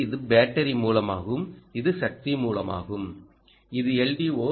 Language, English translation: Tamil, so this is the battery source, this is the power source and this is the l d o